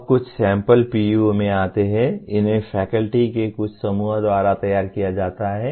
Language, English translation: Hindi, Now getting into some sample PEOs, these are prepared by some group of faculty